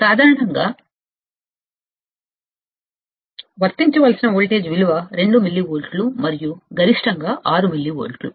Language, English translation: Telugu, Typically, value of voltage to be applied is 2 millivolts and maximum is 6 millivolts